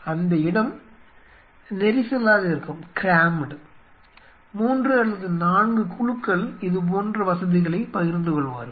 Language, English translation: Tamil, And there people will be crammed in like you know three or four groups sharing such facilities